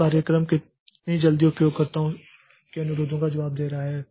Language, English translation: Hindi, So, how quickly the program is responding to the user's request